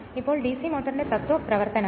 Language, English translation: Malayalam, Now principle operation of DC motor